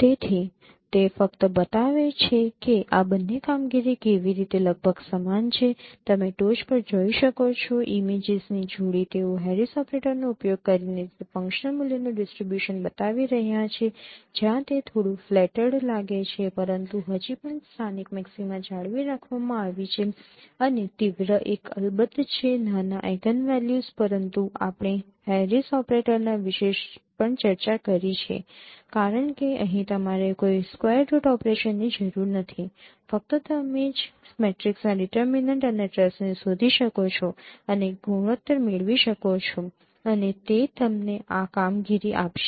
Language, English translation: Gujarati, So it just shows that how these two operations are almost equivalent you can see at the top the pair of images they are showing the distribution of those functional values using Harris operator where it looks little flattered though but still the local maxima is you know retained and the sharper one is of course the eigenvalues smaller eigenvalues but we have also discussed the advantages of Harris operator because here you do not require any square root operations simply you can compute determine and trace of matrix and get the ratios and that would give you this operation